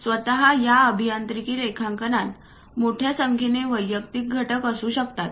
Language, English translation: Marathi, Typically these engineering drawings may contains more than 10 Lakh individual components